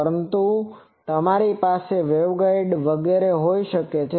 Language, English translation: Gujarati, But, you can also have that the waveguides etc